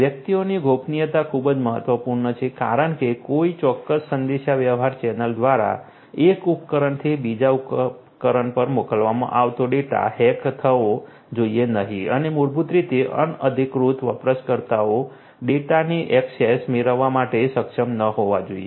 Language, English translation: Gujarati, Privacy of the individuals is very important because the data that are being carried forward from one device to another through a particular communication channel should not be you know should not be hacked and you know so basically unauthorized users should not be able to get access to the data